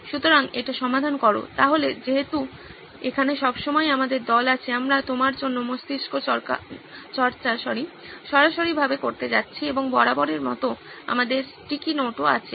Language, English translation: Bengali, So solve it is, so as always we have our team here, we are going to do the brainstorming live for you and we have our sticky notes as always